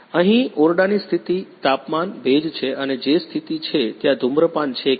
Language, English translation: Gujarati, Here is room condition is temperature, humidity and what is condition is there is smoke or not